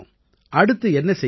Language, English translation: Tamil, What are you thinking of next